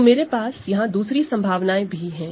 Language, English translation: Hindi, So, here I do have other possibilities